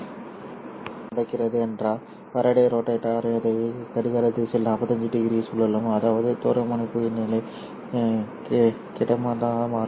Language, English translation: Tamil, Next what happens is the Faraday rotator will rotate this one in the clockwise direction by 45 degrees, which means that the polarization state becomes horizontal now